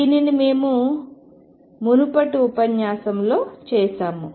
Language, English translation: Telugu, So, this is what we did in the previous lecture